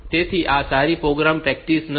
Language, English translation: Gujarati, So, these are not a very good programming practice